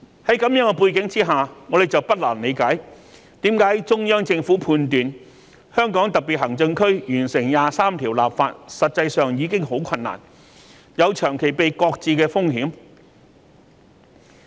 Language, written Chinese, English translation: Cantonese, 在這樣的背景之下，我們就不難理解為何中央政府判斷香港特別行政區完成二十三條立法實際上已很困難，有長期被擱置的風險。, Against this background it is not difficult for us to understand why the Central Government has decided that it will be very hard for HKSAR to enact its own legislation on Article 23 and there is a risk that the work will be stalled for a long time